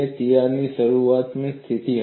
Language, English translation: Gujarati, The crack was initially stationary